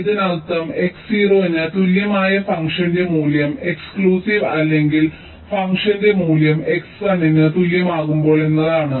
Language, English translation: Malayalam, this means the value of the function when x equal to zero, exclusive, or the value of the function when x equal to one